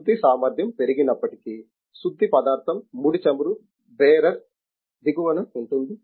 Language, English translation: Telugu, The refining capacity even though increased, the refining material the crude oil is the bottom of the barer